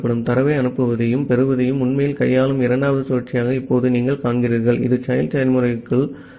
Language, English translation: Tamil, Now you see this the second while loop that we had which actually deals with sending and receiving data, it is inside only the child process